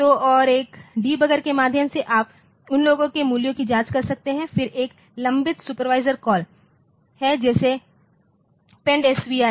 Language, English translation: Hindi, So, and through a debugger you can just check the values of those then the there is a pending supervisory calls like pendSV